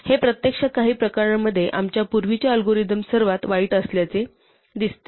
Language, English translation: Marathi, This actually seems to be worst then our earlier algorithm in certain cases